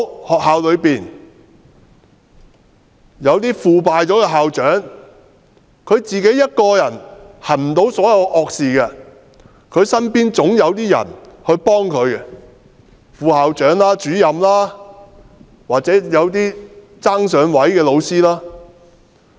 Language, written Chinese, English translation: Cantonese, 學校內有些腐敗的校長，但他一個人不能行所有惡事，身邊總有些人幫助他，例如副校長、主任或一些"爭上位"的老師。, There may be corrupt school principals in schools but a school principal cannot have committed all the evil deeds on his own and there will be people who have assisted him eg . vice school principals department heads or teachers who are striving for promotion